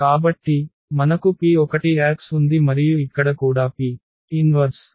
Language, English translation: Telugu, So, we have P inverse e Ax and here also P inverse